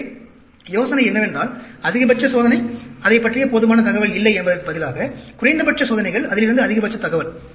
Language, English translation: Tamil, So, the idea is, minimum experiments, maximum knowledge out of it, rather than, maximum experiment, not so much, enough knowledge about it